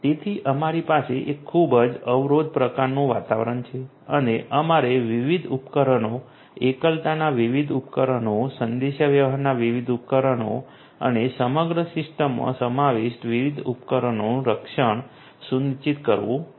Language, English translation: Gujarati, So, we have a highly constrained kind of environment and we have to ensure the protection of the different devices, the different devices in isolation, the different devices in communication and the different devices that comprise the system as a whole